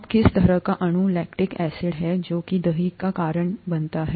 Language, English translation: Hindi, Now, what kind of a molecule is lactic acid which is what is causing the curdling